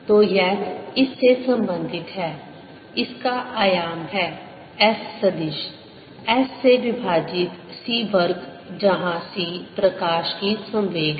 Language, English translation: Hindi, so this is related to this is the dimension of this, the s vector, as as over c square, where c is the speed of light